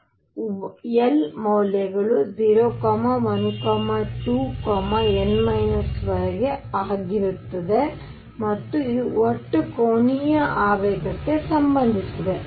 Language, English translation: Kannada, So, l values will be 0, 1, 2 upto n minus 1 and this is related to total angular momentum